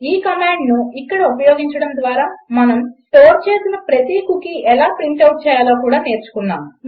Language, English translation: Telugu, Using this command here, we also learnt how to print out every cookie that we had stored